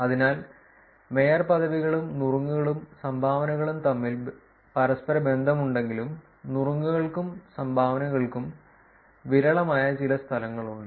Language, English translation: Malayalam, So, essentially even though there is a correlation between mayorships, tips and dones, there is actually some places which are sparser for a tips and dones